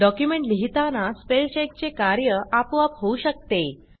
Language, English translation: Marathi, The spell check can be done automatically while writing the document